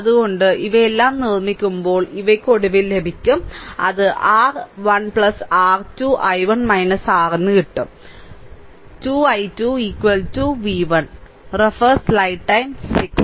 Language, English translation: Malayalam, So, upon making all these thing, these one, you will get finally, it is coming R 1 plus R 2 i 1 minus R 2 i 2 is equal to v 1